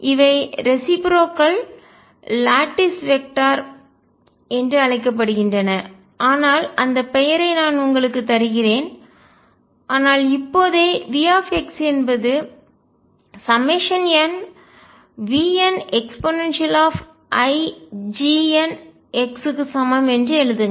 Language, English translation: Tamil, And these are called as reciprocal lattice vectors, but that just name I am giving you, but right now let just then therefore, write V x equals summation n v n e raise to i G n x